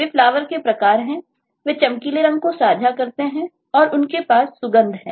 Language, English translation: Hindi, they are kinds of flowers in the sense they share bright color, they have fragrance and all that